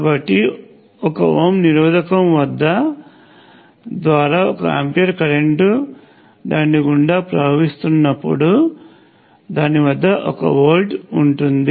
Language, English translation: Telugu, So, one ohm resistor has one volt across it when one ampere is passing through it